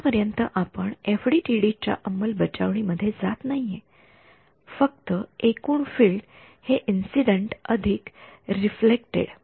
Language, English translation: Marathi, We are not, so far, going into FDTD implementation just total field is incident plus reflected